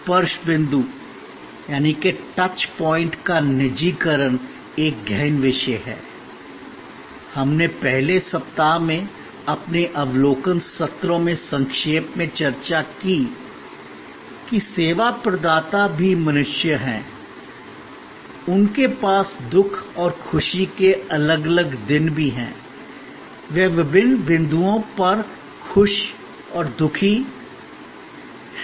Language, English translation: Hindi, The personalization of the touch point is a deep subject, we discussed briefly in our overview sessions in the first week that service providers are also human beings, they also have different days of sorrows and happiness, they are glad and sad at different points